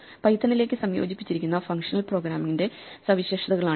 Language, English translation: Malayalam, These are features of functional programming which are integrated into Python